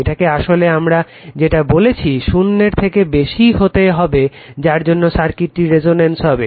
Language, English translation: Bengali, So, this is actually your what we call greater than 0 has to be greater than 0 for which circuit is at resonance right